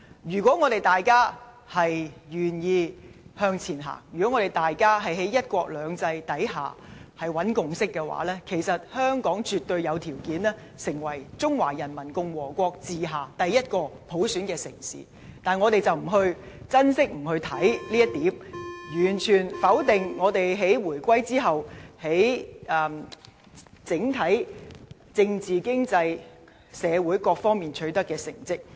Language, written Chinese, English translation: Cantonese, 如果大家願意向前行，在"一國兩制"下尋找共識，其實香港絕對有條件成為中華人民共和國治下第一個普選的城市，但我們卻不珍惜，不去看重這一點，完全否定我們在回歸後，在整體政治、經濟、社會各方面取得的成績。, If we were willing to move forward and sought a consensus under one country two systems Hong Kong could definitely become the first city under the rule of the Peoples Republic of China to have universal suffrage . However we did not cherish this chance and totally denied the accomplishments made by Hong Kong politically economically and socially after the reunification